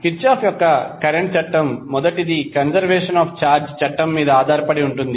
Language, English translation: Telugu, The first one that is Kirchhoff’s current law is based on law of conservation of charge